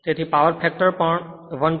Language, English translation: Gujarati, So, power factor is this 1